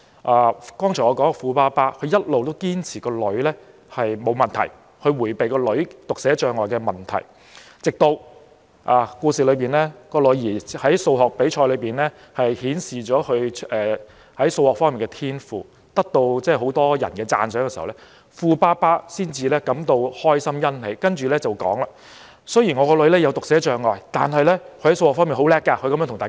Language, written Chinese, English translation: Cantonese, 我剛才說的富爸爸一直堅持女兒沒有問題，他迴避女兒患有讀寫障礙的問題，直至故事中女兒在數學比賽裏顯示她在數學方面的天賦，得到很多人讚賞時，富爸爸感到開心和欣喜，才對大家說：雖然我的女兒患有讀寫障礙，但她在數學方面很強。, The rich dad has insisted that his daughter does not have a problem and he tries to evade the problem that his daughter is suffering from dyslexia . Then one day the daughter demonstrated her talents in a mathematics competition and was commended by many . The rich dad felt happy and pleased and he said to the others Although my daughter is suffering from dyslexia she is very strong in mathematics